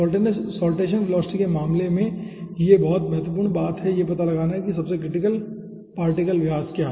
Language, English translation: Hindi, so in case of saltation velocity, very important thing is to find out first the critical particle diameter